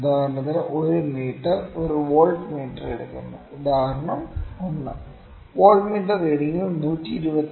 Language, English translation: Malayalam, Next I will try to take some examples for instance if a meter reads a voltmeter, example 1 voltmeter reading is equal to 127